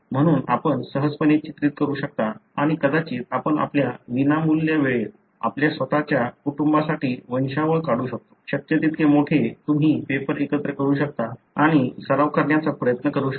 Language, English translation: Marathi, So, easily you can depict and you could perhaps in your free time you can draw a pedigree for your own family; as big as possible you can combine papers and try to practice